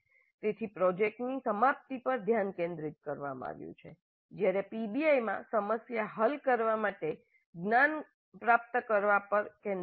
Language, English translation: Gujarati, So the focus is on completion of a project whereas in PBI the focus is on acquiring knowledge to solve the problem